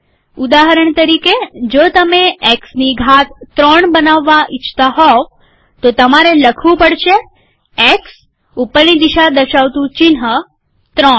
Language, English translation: Gujarati, For example if you want to create X to the power 3, you will write, X up arrow 3